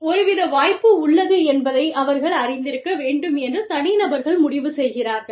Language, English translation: Tamil, The individuals decide, they need to be aware, that some kind of an opportunity, exists